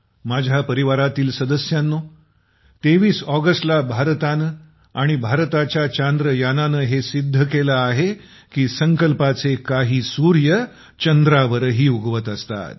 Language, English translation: Marathi, My family members, on the 23rd of August, India and India's Chandrayaan have proved that some suns of resolve rise on the moon as well